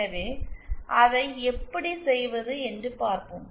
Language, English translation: Tamil, So, let us see how to do that